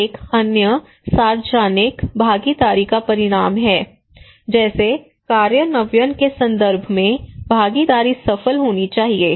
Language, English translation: Hindi, And another one is the outcome of public participation, like participation should be successful in terms of implementations